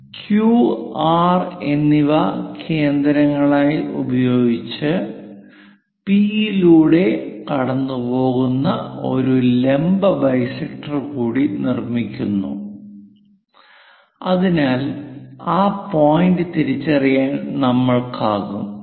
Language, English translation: Malayalam, Using Q and R as centers construct one more perpendicular bisector passing through P, so that S point we will be in a position to identify let us call, this is S